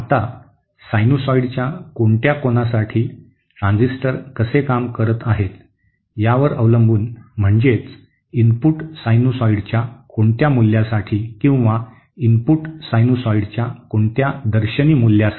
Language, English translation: Marathi, Now, depending on how, what angle or you know for what angle of a sinusoid the transistor is conducting, that is for what value of the input sinusoid or for what face values of the input sinusoid